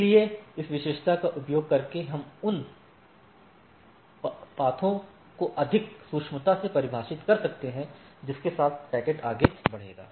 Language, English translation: Hindi, So, using this attribute, we can more finely defined the paths along which the packet will move